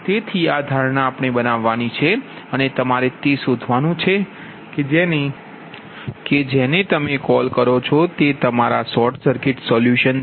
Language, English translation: Gujarati, so this assumption we have to make and you have to find out your, what you call that, your short circuit, your short circuit solution